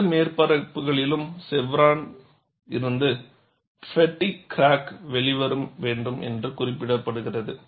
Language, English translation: Tamil, The code says the fatigue crack has to emerge from the chevron on both surfaces